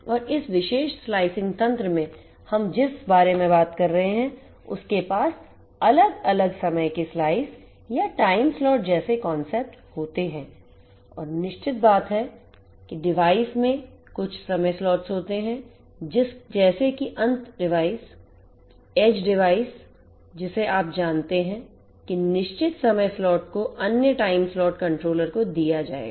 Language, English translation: Hindi, And in this particular slicing mechanism what we are talking about is to have different time slices or time slots similar kind of concepts like that and have certain devices have certain time slots the end devices edge device you know share certain time slots the other time slots will be given to the controller